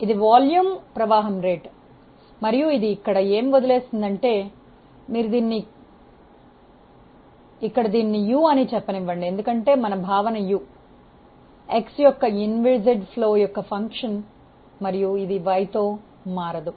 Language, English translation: Telugu, This is the volume flow rate and what it leaves here, let us say u is a function of x because of the assumption of inviscid flow u does not vary with y